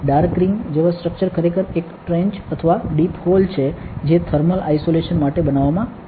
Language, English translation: Gujarati, The dark ring like structure is actually a trench or a deep hole that has been made for thermal isolation